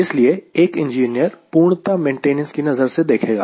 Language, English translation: Hindi, so for an engineer, he sees from purely from maintenance angle